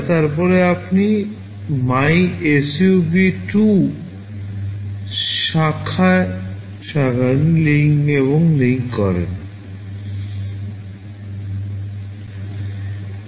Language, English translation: Bengali, Then you branch to MYSUB2 branch and link